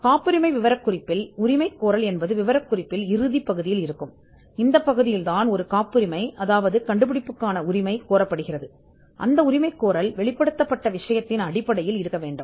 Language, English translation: Tamil, The claim of a patent specification is the concluding part of the patent specification, where a patent, an invention is claimed and claim should itself be based on the matter disclosed